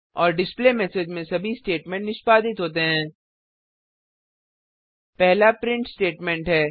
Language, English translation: Hindi, And all the statements in the displayMessage are executed